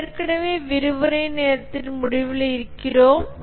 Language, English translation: Tamil, We are already at the end of the lecture time